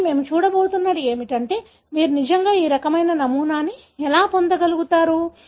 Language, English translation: Telugu, But, what we are going to see is how really you get this kind of pattern